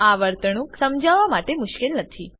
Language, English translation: Gujarati, It is not difficult to explain this behaviour